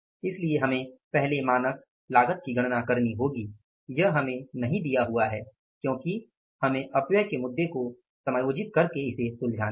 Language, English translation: Hindi, So, we have to calculate the first standard cost, it is also not given to us because we have to address the issues of the say adjusting the wastages